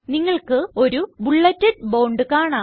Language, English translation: Malayalam, You will see a bulleted bond